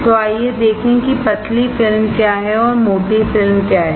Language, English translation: Hindi, So, let us see what is thin film and what is a thick film